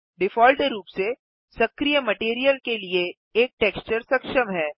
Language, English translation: Hindi, By default, one texture is enabled for the active material